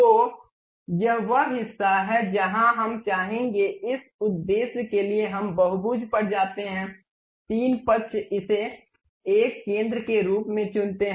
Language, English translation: Hindi, So, this is the portion where we would like to have, for that purpose we go to polygon 3 sides pick this one as center